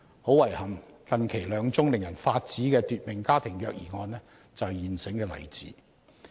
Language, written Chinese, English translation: Cantonese, 很遺憾，近期兩宗令人髮指的奪命家庭虐兒案便是現成例子。, Much to our regret two infuriating cases of fatal child abuse that happened recently are the readily available examples